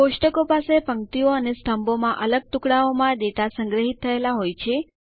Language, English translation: Gujarati, Tables have individual pieces of data stored in rows and columns